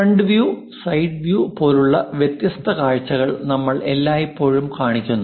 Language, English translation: Malayalam, We always show its different views like frontal view and side views